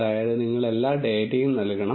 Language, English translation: Malayalam, That means you need to give all the data